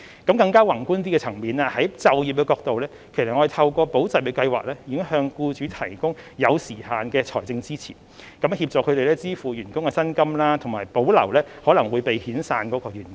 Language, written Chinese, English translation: Cantonese, 從更宏觀的層面，從就業的角度而言，我們已經透過"保就業"計劃向僱主提供有時限的財政支持，協助他們支付員工的薪金，以及保留可能會被遣散的員工。, On a more macro scale or from the employment perspective we have provided time - limited financial supports to employers through the Employment Support Scheme so as to help them pay their staff salary and retain their employees who may otherwise be laid off